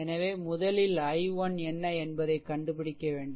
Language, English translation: Tamil, So, first you have to find out what is i 1